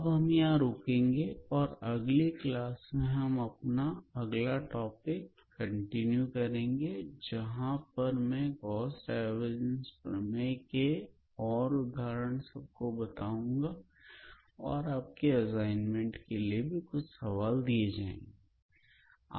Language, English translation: Hindi, So, I will stop here for today and in the next class, we will continue with our next topic and I will try to include some examples based on this Gauss Divergence and you know in your assignments sheet and I look forward to your next class